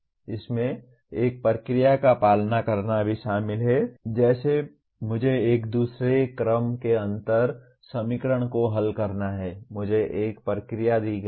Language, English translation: Hindi, It also includes besides following a procedure like I have to solve a second order differential equation, I am given a procedure